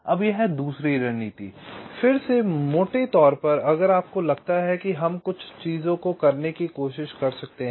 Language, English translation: Hindi, now this second strategy, again broadly, if you think we can try to do a couple of things